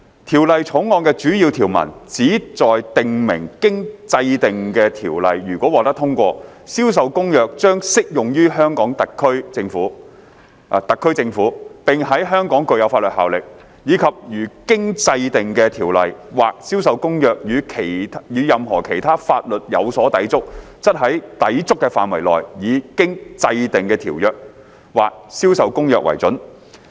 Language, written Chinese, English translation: Cantonese, 《條例草案》的主要條文，旨在訂明經制定的條例如果獲得通過，《銷售公約》將適用於特區政府；並在香港具有法律效力；以及如經制定的條例或《銷售公約》與任何其他法律有所抵觸，則在抵觸的範圍內，以經制定的條例或《銷售公約》為準。, The main provisions of the Bill seek to provide that the Ordinance if enacted shall apply CISG to the SAR Government and shall have the force of law in Hong Kong; and if there is any inconsistency between the Ordinance to be enacted or CISG and any other laws the Ordinance to be enacted or CISG prevails to the extent of the inconsistency